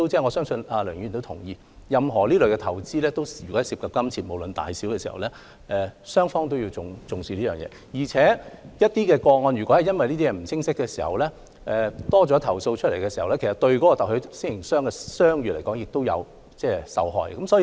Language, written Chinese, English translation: Cantonese, 我相信梁議員也同意，任何投資均涉及金錢，無論金額大小，雙方都要重視對合約的理解，而若因雙方對某些事項不清晰，令投訴增多，特許經營商的商譽也會受影響。, I believe Dr LEUNG also agrees that for any investments which involve money disregarding the amount involved both parties have to attach importance to the contract terms . Any misunderstandings of the parties to the contract will result in an increase in complaints and consequently affect the goodwill of the franchisor